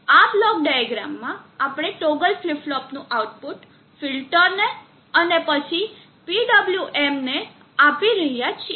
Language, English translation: Gujarati, In this block diagram, we are giving the output of the toggle flip flop to a filter and then to a PWM